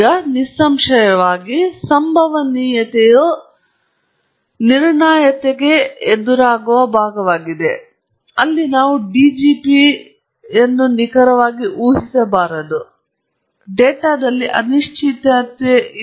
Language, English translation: Kannada, Now, obviously, stochastic is the counter part for the deterministic, where we say that the DGP is not accurately predictable or its not known or you can say there is uncertainty in the data and so on